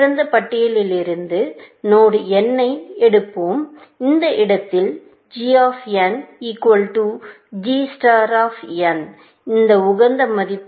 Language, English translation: Tamil, We are saying that when it picks node n from the open list, at that point, g of n equal to g star of n; this is the optimal value